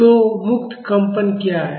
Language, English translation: Hindi, So, what is a free vibration